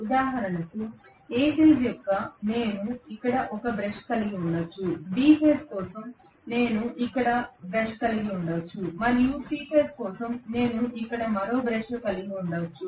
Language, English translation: Telugu, For example, for A phase I may have the brush here, for B phase I may have the brush here and for C phase I may have one more brush here